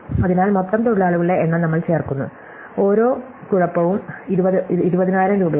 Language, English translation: Malayalam, So, we add of the total number of workers, each of them is paid 20,000 rupees